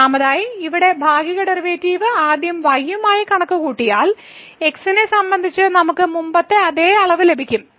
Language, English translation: Malayalam, So, first of all we should note that if we compute the partial derivative here first with respect to , and then with respect to we will get the same quantity as before